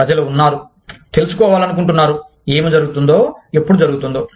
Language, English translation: Telugu, There are people, who want to know, what is happening, when it is happening